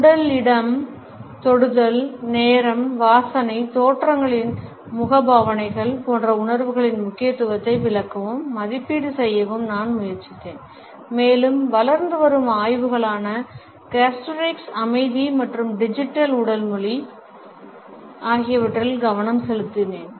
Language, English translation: Tamil, I have also try to explain and evaluate the significance of body language vis a vis our sense of space, touch, time, smell, facial expressions in appearances and also focused on the emerging areas of explorations namely gustorics, silence and digital body language